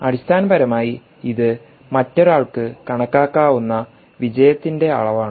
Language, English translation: Malayalam, essentially, it is the measure of success which is quantifiable for someone